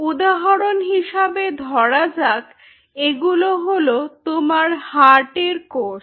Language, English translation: Bengali, for example, these are your heart cells